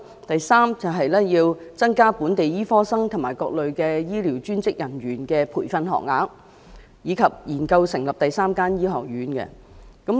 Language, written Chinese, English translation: Cantonese, 第三，增加本地醫科生及各類專職醫療人員的培訓學額，以及研究成立第三間醫學院。, Thirdly the number of training places for local medical students and various types of healthcare professionals should be increased and the establishment of a third medical school should be studied